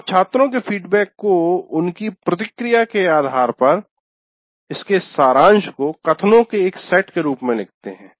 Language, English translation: Hindi, And based on the student's response, you write a summary of the student feedback as a set of statements